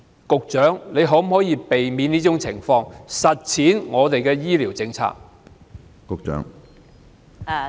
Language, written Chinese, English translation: Cantonese, 局長，你可否避免這種情況出現，以實踐本港的醫療政策？, Secretary can you pre - empt something like this from happening so as to live up to the health care policy pledged by you?